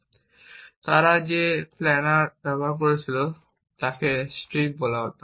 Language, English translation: Bengali, So, one of the earliest planners that was built was called strips